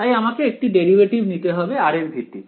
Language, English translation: Bengali, So, I have to take the derivative of this guy with respect to r